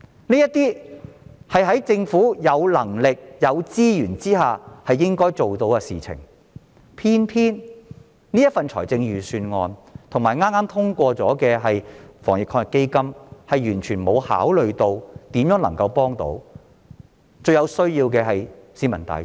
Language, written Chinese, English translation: Cantonese, 這些是在政府有能力及有資源下應該辦到的事，偏偏預算案及剛剛通過的防疫抗疫基金完全沒有考慮如何能幫助最有需要的市民大眾。, These are the things that the Government should have the ability and the resources to accomplish but the Budget and AEF that was recently approved have given no thoughts as to how to help the people who are most in need of help